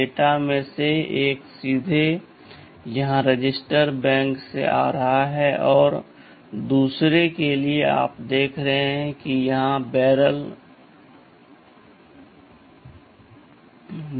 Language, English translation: Hindi, OSo, one of the data is coming directly from the register bank here, and for the other one you see there is a barrel shifter sitting here